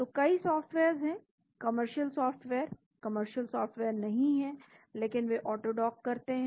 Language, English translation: Hindi, So, there are many softwares, commercial software, not commercial software are there but they AutoDock